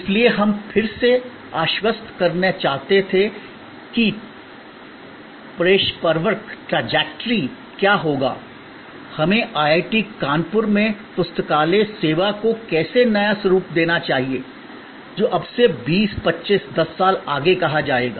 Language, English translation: Hindi, So, we wanted to reassess that what will be the trajectory, how should we redesign the library service at IIT, Kanpur, going forward to say 20, 25, 10 years from now